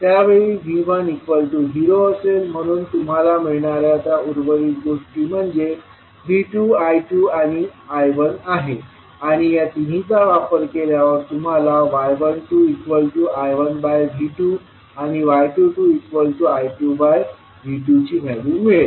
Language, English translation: Marathi, So in that case your V 1 will be 0, so, rest of the quantities which you will which you will obtain are V 2, I 2 and I 1 and using these three quantities you will find out the value of y 12 that is I 1 upon V 2 and y 22 that is I 2 upon V 2